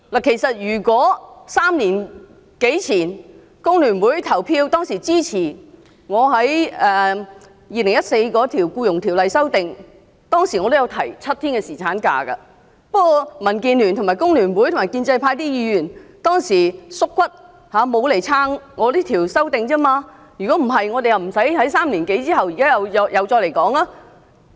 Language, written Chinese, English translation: Cantonese, 其實，如果3年多前，工聯會支持我就《2014年僱傭條例草案》提出的修正案，我當時也提出7天侍產假，不過，當時民建聯、工聯會及建制派議員"縮骨"，沒有支持我的修正案，否則，我們便不需在3年後，即現在再次討論這議題。, Actually three years ago I proposed seven days paternity leave in my amendment to the Employment Amendment Bill 2014 but DAB FTU and other pro - establishment Members did not have the backbone to give support . If FTU had supported my amendment we would not have conducted the present discussion over this very issue again three years later . Come to think about this